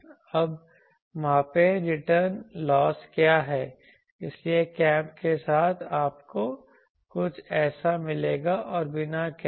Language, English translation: Hindi, Now, measure the a what is that the return loss, so you will get you see with the cap you will get something like this and without the cap this